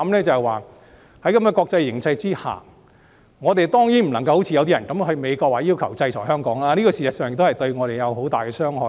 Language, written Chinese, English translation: Cantonese, 在這國際形勢下，我們當然不應該像某些人一樣，到美國要求制裁香港，因為這事實上對香港會有很大傷害。, In such an international situation we should certainly not act like someone who has travelled to the United States calling for sanctions on Hong Kong for this will actually do great harm to Hong Kong